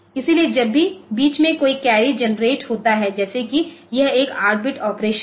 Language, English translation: Hindi, So, whenever there is a carry generated at the middle like if it is an 8 bit operation